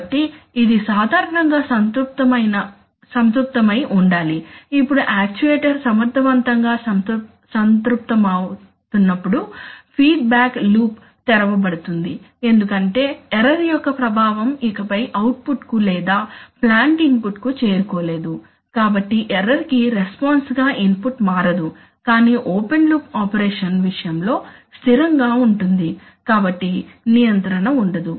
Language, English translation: Telugu, So, that should as typically will saturated, now when the actuator saturates effectively the feedback loop is opened because the effect of the error no longer transmits to the output or rather the plant input so the input does not change, in response to the error but is held constant that is the case of an open loop operation, so your control is gone